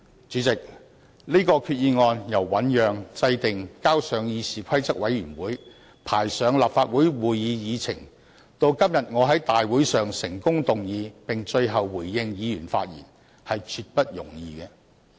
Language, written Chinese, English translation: Cantonese, 主席，這項擬議決議案由醞釀、制訂、呈交議事規則委員會、排上立法會會議議程，到今天我在大會上成功動議，最後並回應議員的發言，絕不容易。, President it was by no means easy to have this proposed resolution thought out drawn up submitted to CRoP included in the Agenda of the Council and successfully moved by me at this Council meeting today . And now I am here responding to Members speeches